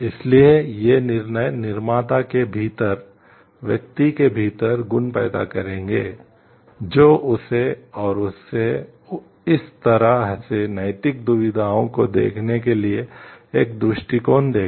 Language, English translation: Hindi, So, these will generate qualities within the person within the decision maker, which will give him and her a perspective to look at moral dilemmas in such a way